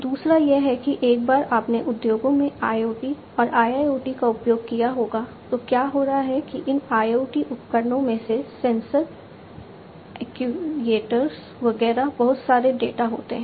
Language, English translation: Hindi, The other one is that once you have used IoT and IIoT, etcetera in the industries; what is happening is these sensors actuators, etcetera from these IoT devices are going to throw in lot of data